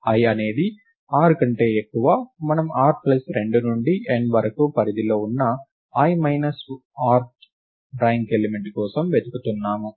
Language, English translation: Telugu, i is more than r, clear that we look for the i minus rth ranked element in the range a of r plus 2 to n